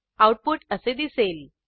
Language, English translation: Marathi, You can see the output